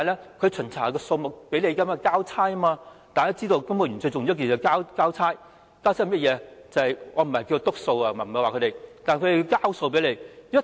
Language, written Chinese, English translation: Cantonese, 提供巡查數目只是為了交差，大家也知道，公務員最重要的是交差，甚麼是交差呢？, The provision of the number of inspections is merely for the sake of getting the job done . As we all know the most important thing for civil servants is to get the job done . What is meant by getting the job done?